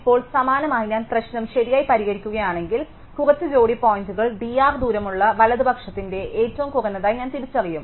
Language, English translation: Malayalam, And now similarly, if I do solve the problem right I would identify some pair of points as being the minimum of the right with distance d R